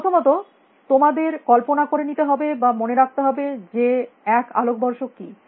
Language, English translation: Bengali, First of all, you have to imagine what is a light year or remember what is a light year